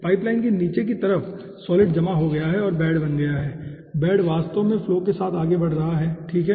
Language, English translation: Hindi, okay, at the bottom side of the pipeline the solid has deposited and formed bed and the bed is actually moving along with the flow